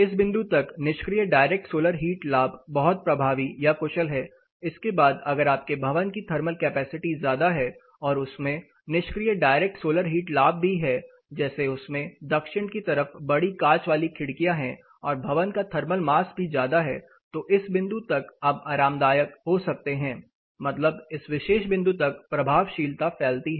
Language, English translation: Hindi, Up to this point passive direct solar heat gain is very effective or efficient, beyond this passive direct heat gain including higher thermal mass if you are building as high thermal capacity and it also has passive direct solar heat gains say you have you know large glazing in the southern side and your building also as high thermal mass then up to this point you can be comfortable that is the effectiveness stretches up to this particular point